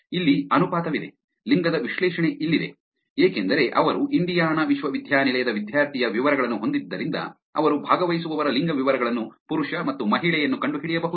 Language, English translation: Kannada, Here is the ratio, here is the analysis of the gender, because they had the Indiana university's, university student details they could actually find out male versus female, the gender details of the participants